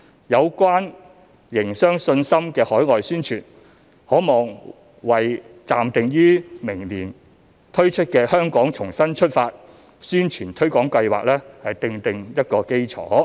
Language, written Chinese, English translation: Cantonese, 有關營商信心的海外宣傳，可望為暫定於明年推出的"香港重新出發"宣傳推廣計劃奠定基礎。, This business confidence campaign will pave the way for the Relaunch Hong Kong campaign tentatively scheduled for next year